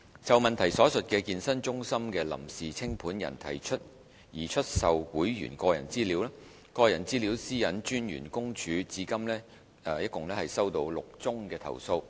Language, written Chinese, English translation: Cantonese, 就質詢所述的健身中心的臨時清盤人提出擬出售會員個人資料，個人資料私隱專員公署至今共收到6宗投訴。, The question refers to the provisional liquidator of a fitness centre proposing to sell the personal data of its members . In this regard the Office of the Privacy Commissioner for Personal Data PCPD has hitherto received six complaints